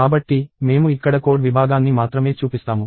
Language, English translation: Telugu, So, I show only the code segment here